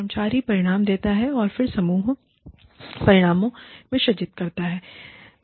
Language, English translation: Hindi, The employee outcomes, then feed into team outcomes